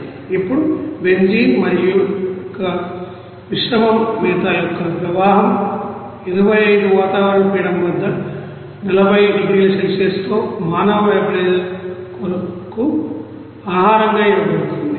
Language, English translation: Telugu, Now the stream of mixed feed of benzene and Cumene is fed to the human vaporizer with a 40 degree Celsius at 25 atmospheric pressure